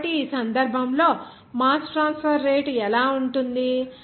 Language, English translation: Telugu, So, in this case what will be the mass transfer rate okay